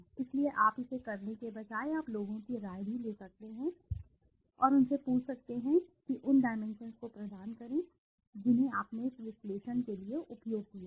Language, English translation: Hindi, So, instead of you doing it, you can even take the opinion of people and ask them please provide the dimensions that you have used to make this analysis